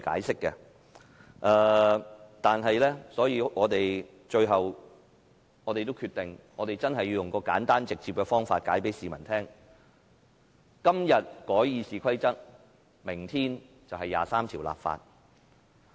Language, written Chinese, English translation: Cantonese, 所以，最後我們決定用一個簡單直接的方法向市民解釋："今日改《議事規則》，明天23條立法"。, As a result at last we decided to use a simple and direct way of explanation to the people Amending RoP today; legislating for Article 23 tomorrow